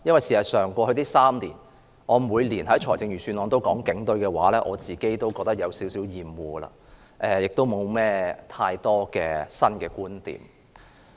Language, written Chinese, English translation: Cantonese, 事實上，過去3年，我每年都在預算案辯論談論警隊，我自己也有點厭惡，也沒有太多新的觀點。, In fact as I talked about the Police Force in the Budget debate in each of the past three years I myself have grown weary of it and I have no new points to raise